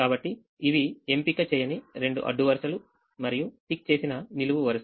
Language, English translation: Telugu, so these are the two unticked rows and ticked column